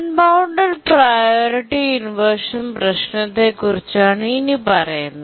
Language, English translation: Malayalam, Now let's look at the unbounded priority inversion problem